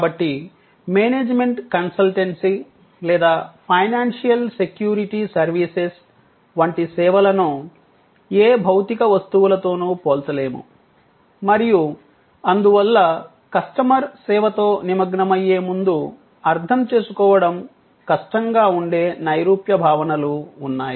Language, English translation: Telugu, So, services like management consultancy or financial security services cannot be compared with any physical object and therefore, there is an abstract set of notions involved, which are difficult to comprehend before the customer engages with the service